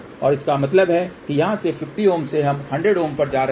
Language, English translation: Hindi, So that means, from here 50 ohm we are going to 100 ohm